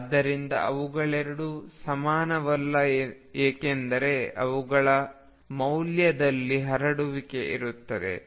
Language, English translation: Kannada, And therefore, 2 are not the same because there is a spread in the values